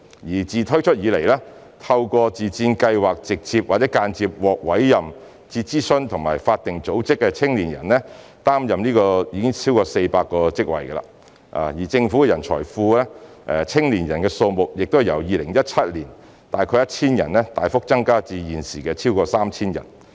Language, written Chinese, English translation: Cantonese, 自自薦計劃推出以來，透過該計劃直接或間接獲委任至諮詢及法定組織擔任不同職位的青年人，已經超過400人；而政府的人才庫內的青年人數目已由2017年時約 1,000 人大幅增加至現時逾 3,000 人。, Since the launch of MSSY the number of young people who have been appointed to take up different roles in relevant advisory and statutory bodies through the scheme directly or indirectly has reached over 400 while the number of young people in the Governments talent pool has increased substantially from around 1 000 in 2017 to over 3 000 at present